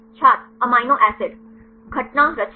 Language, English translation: Hindi, Amino acid Occurrence composition